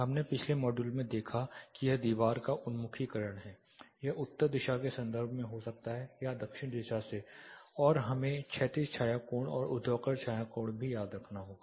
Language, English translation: Hindi, We saw in the previous module it is nothing but the orientation of the wall it can be with reference to the north are from the south and we have to remember horizontal shadow angle and vertical shadow angle